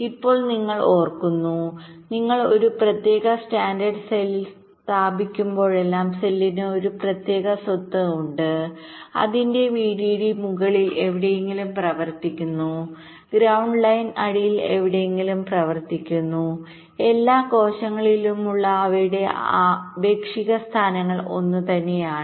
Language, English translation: Malayalam, you recall i mentioned that whenever you place a particular standard cell, the cell has a particular property: that its vdd runs somewhere in the top, ground line runs somewhere in the bottom and their relative positions across all the cells are the same